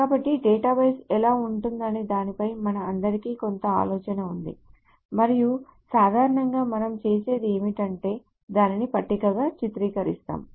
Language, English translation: Telugu, So we all have some idea of what a database looks like and generally what we do is that we depict it as a table